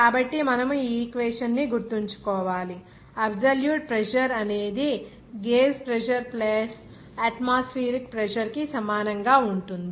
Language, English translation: Telugu, So, here absolute pressure will be equal to this gauge pressure plus atmospheric pressure